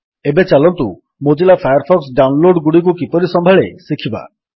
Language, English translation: Odia, Next, let us now learn how Mozilla Firefox handles downloads